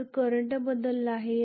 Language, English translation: Marathi, So the current has changed